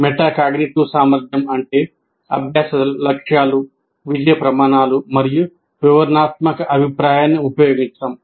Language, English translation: Telugu, Metacognitive ability means using learning goals, success criteria, and descriptive feedback